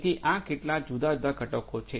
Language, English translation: Gujarati, So, these are some of these different components